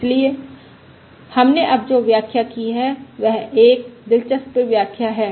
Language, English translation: Hindi, So what we have illustrated now is we have illustrated an interesting example